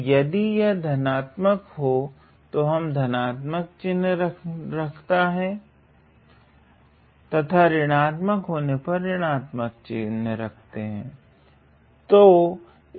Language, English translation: Hindi, So, if it is positive, we will keep the positive sign and negative we will keep the negative sign